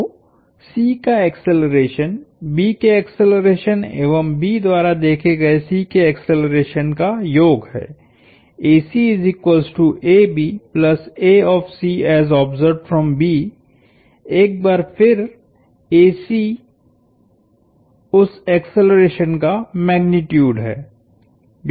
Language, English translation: Hindi, So the acceleration of C is acceleration of B plus the acceleration of C as observed by B